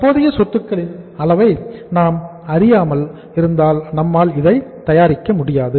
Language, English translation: Tamil, So we will not be able to prepare because we would not be knowing the level of current assets